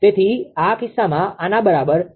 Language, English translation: Gujarati, Therefore, it is 0